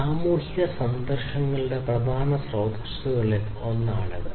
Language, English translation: Malayalam, It is one of the major sources of social conflicts